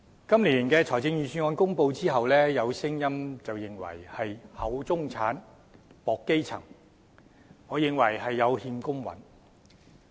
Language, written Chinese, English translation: Cantonese, 今年的財政預算案公布後，有聲音認為是"厚中產，薄基層"，我認為有欠公允。, After the announcement of this years Budget there are views that the Budget has favoured the middle class over the grass roots and this I think is far from fair